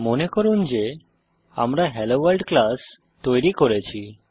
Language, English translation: Bengali, Recall that we created class HelloWorld